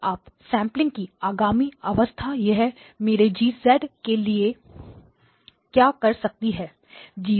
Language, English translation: Hindi, Now the next stage of up sampling, what does it do to my G of z